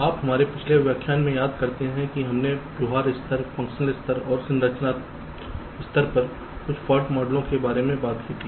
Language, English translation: Hindi, so you recall, in your last lecture we talked about some fault model at the behavior level, function level and also the structure level